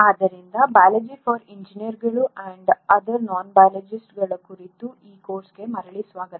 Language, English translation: Kannada, So welcome back to this course on “Biology for Engineers and Non biologists”